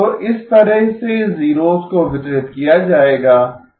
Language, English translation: Hindi, So this is how the zeros will be distributed